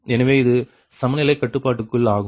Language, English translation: Tamil, so it is the equality constraints